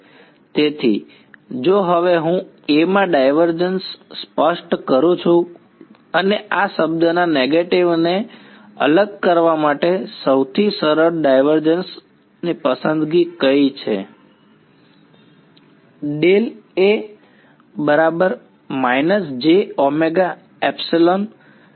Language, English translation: Gujarati, So, if I now specify the divergence of A in and what is the most natural choice for divergence of a negative of this term ok